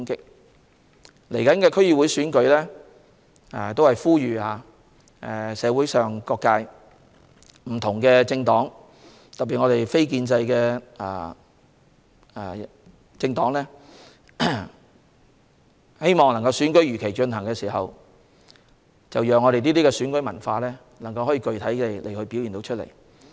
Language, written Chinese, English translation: Cantonese, 就即將舉行的區議會選舉，我呼籲社會各界和不同政黨，特別是非建制政黨，如果他們希望選舉如期舉行，就讓我們的選舉文化具體地表現出來。, Regarding the forthcoming DC Election I call upon all sectors of the community and different political parties especially non - establishment political parties to allow our election culture to manifest positively if they want the Election to be held as scheduled